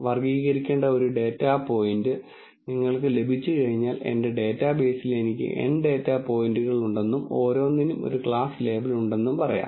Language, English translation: Malayalam, Once you get a data point to be classified, let us say I have N data points in my database and each has a class label